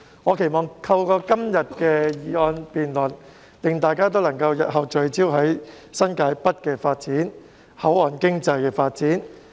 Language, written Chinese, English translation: Cantonese, 我期望今天的議案辯論可令大家日後聚焦新界北和口岸經濟的發展。, I hope that todays motion debate will allow us to focus on the development of New Territories North and the port economy in the future